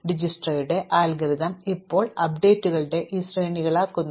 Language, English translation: Malayalam, So, Dijkstra's algorithms now make the sequences of updates